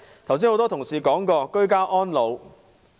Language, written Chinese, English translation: Cantonese, 剛才很多同事談過居家安老。, Several members have spoken on ageing in place